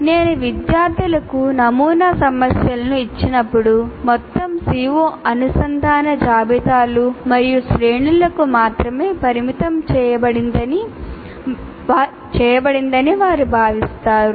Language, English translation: Telugu, So when I give sample problems to the students, they will feel that the entire CO is only constrained to linked list and arrays